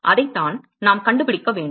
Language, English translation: Tamil, That is what we need to find